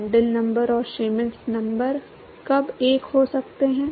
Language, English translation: Hindi, When can Prandtl number and Schmidt number be one